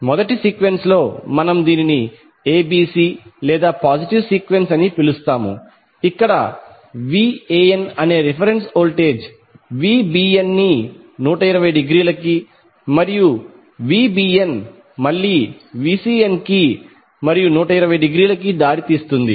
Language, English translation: Telugu, In first sequence we discuss that we call it as ABC or positive sequence where the reference voltage that is VAN is leading VAB sorry VBN by 120 degree and VBN is leading VCN by again 120 degree